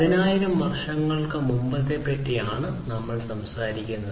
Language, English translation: Malayalam, And this we are talking about more than 10,000 years back